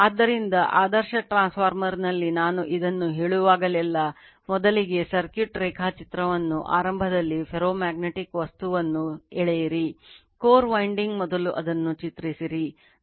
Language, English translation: Kannada, So, in an ideal transformeRLoss of whenever I am telling this first you draw the circuit diagram in the beginning right the ferromagnetic material the core the winding first you draw it